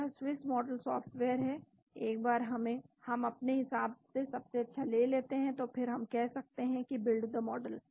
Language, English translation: Hindi, This is Swiss model software once we take the best one which we feel and then we can say build the model